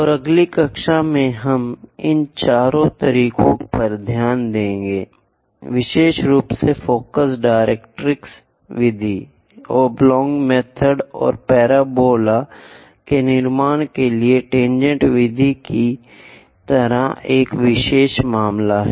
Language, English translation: Hindi, And, in next class, we will look at these four methods especially focus directrix method, rectangle method and there is a special case like tangent method to construct parabolas and how to draw tangent and normal to parabolas also we will see